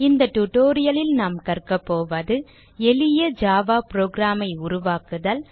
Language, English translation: Tamil, In this tutorial we will learn To create a simple Java program